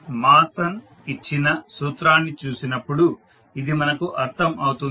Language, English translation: Telugu, So this we can understand when we see the formula which was given by Mason